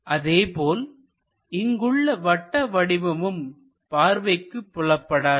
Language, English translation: Tamil, Similarly this circle we cannot view it